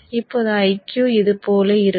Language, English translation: Tamil, Now IQ will look something like this